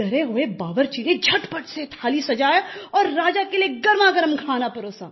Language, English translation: Hindi, The frightened cook immediately lay the plate with hot food